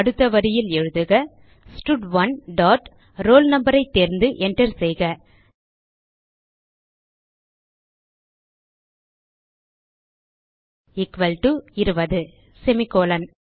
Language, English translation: Tamil, Next line type stud1 dot selectroll no press enter equal to 20 semicolon